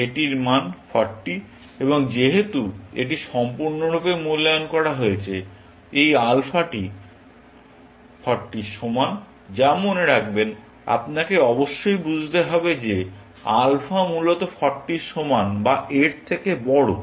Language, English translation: Bengali, Its value is 40 and since, this is completely evaluated, this alpha is equal to 40, which, remember, you must read as saying that alpha is greater than equal to 40, essentially